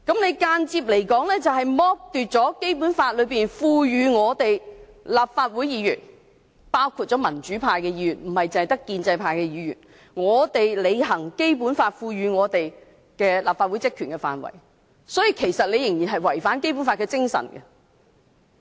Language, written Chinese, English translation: Cantonese, 這間接剝奪了《基本法》賦予立法會議員——包括民主派議員，不單建制派議員——履行立法會職權的權力。因此，這違反了《基本法》的精神。, The practice will indirectly strip Legislative Council Members both pro - democracy and pro - establishment Members included of their powers conferred by the Basic Law to fulfil their functions which indeed violates the spirit of the Basic Law